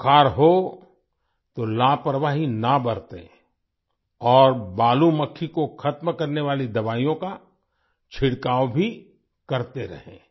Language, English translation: Hindi, Do not be negligent if you have fever, and also keep spraying medicines that kill the sand fly